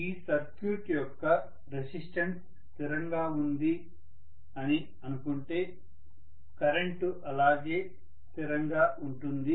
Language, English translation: Telugu, And considering that resistance of the circuit is a constant, the current can remain as a constant